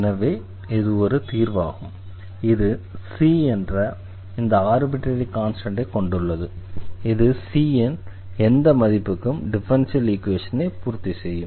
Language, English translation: Tamil, And therefore, this is a solution also this contains one this arbitrary constant this c for any value of c this will satisfy the differential equation which we have observed